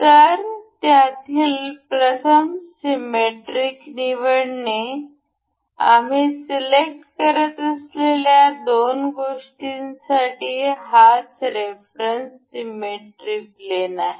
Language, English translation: Marathi, So, first one of them is to select the symmetric; the symmetry plane of reference that that would be the reference for the two items that we will be selecting